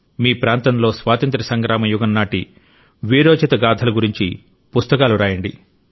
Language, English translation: Telugu, Write books about the saga of valour during the period of freedom struggle in your area